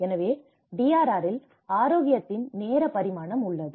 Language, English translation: Tamil, So, there is a time dimension of health in DRR